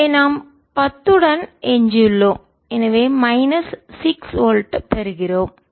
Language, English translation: Tamil, this goes to zero, so we are left with pen, and so we get minus six volt